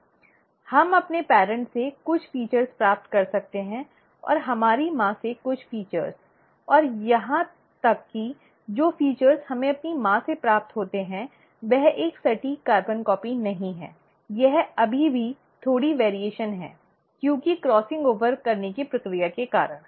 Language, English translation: Hindi, We may receive some features from our parents, and some features from our mother, and even the features that we receive from our mother is not an exact carbon copy, it is still a slight variation, because of the process of crossing over